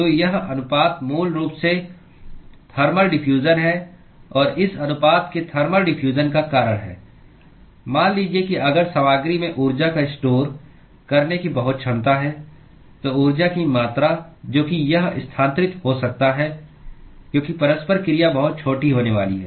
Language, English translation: Hindi, So, this ratio is basically the thermal diffusion and the reason why this ratio is thermal diffusion is supposing if the material has a very capability to store heat, then the amount of heat, that it can transfer because of the interaction is going to be very small